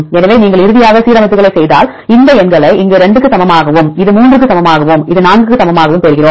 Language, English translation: Tamil, So, if you make the alignments finally, we get these numbers here equal to one this equal to 2 and this equal to 3 and this equal to 4